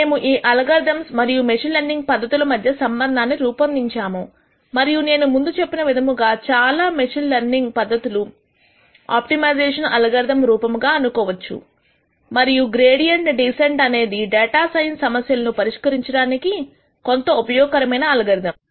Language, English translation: Telugu, We also made the connection between these algorithms and machine learning and as I mentioned before most of the machine learning tech niques you can think of them as some form of an optimization algorithm and the gradient descent is one algorithm which is used quite a bit in solving data science problems